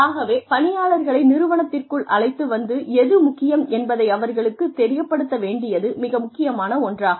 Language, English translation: Tamil, So, it is very important, to bring people in, and let them know, what might be important in an organization